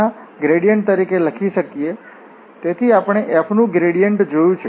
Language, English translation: Gujarati, So, what is the gradient of f